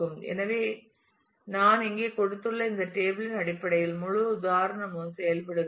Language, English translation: Tamil, So, I will not ah; so, the whole example in terms of this table I have given here worked out